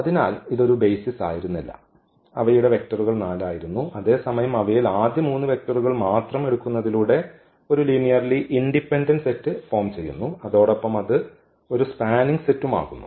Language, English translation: Malayalam, Therefore, it was not a basis so, their vectors were 4 while we have seen that taking those 3 vector first 3 vectors that form a linearly independent set and also a spanning set